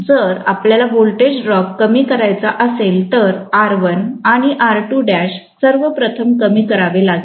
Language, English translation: Marathi, If we want to reduce the voltage drop, R1 and R2 dash first of all have to be decreased